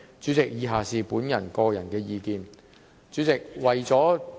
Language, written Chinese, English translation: Cantonese, 主席，以下是我的個人意見，為了......, President the following is my personal views . In order to